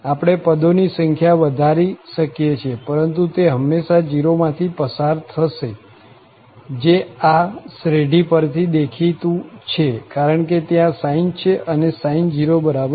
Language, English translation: Gujarati, We can increase the number of terms, but it will always pass through this point 0, which is obviously clear from the nature of this series, because sine is there and sin 0 will be 0